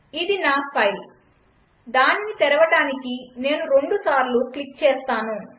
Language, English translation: Telugu, Here is my file, now i double click it to open it